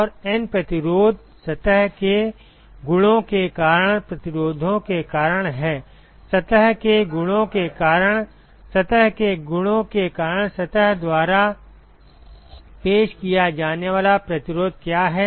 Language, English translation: Hindi, And N resistances are because of the resistances due to surface properties; due to surface properties: what is the resistance offered by the surface due to its surface properties